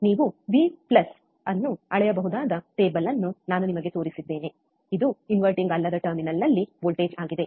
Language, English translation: Kannada, I have shown you the table where you can measure V plus, which is voltage at and non inverting non inverting terminal,